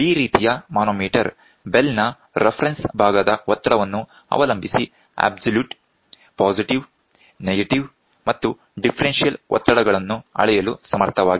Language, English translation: Kannada, This type of manometer is capable of measuring absolute positive, negative and the differential pressures depending on the pressure of the reference side of the bell